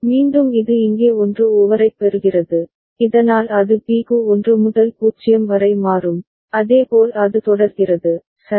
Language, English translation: Tamil, Again it will get a 1 over here so that will make it change from 1 to 0 for B, and similarly it continues, right